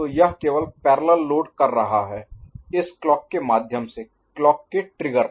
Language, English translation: Hindi, So, it is just doing parallel load through this clock at the trigger of this clock is it ok